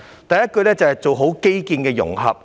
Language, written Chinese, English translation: Cantonese, 第一，要做好基建的融合。, First we need to do a good job in infrastructure integration